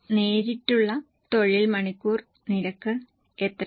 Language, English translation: Malayalam, How much is a direct labour hour rate